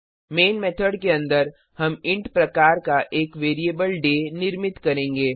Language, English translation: Hindi, Inside the main method, we will create a variable day of type int